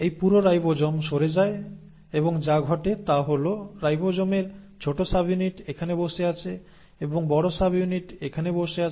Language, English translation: Bengali, Now this entire ribosome shifts and what happens is now the ribosome small subunit is sitting here, and the large subunit is sitting here